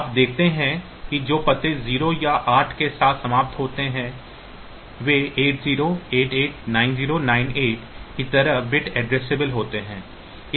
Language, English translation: Hindi, So, you see that that addresses which end with 0 or 8 are bit addressable like 8 0 8 8 9 0 9 8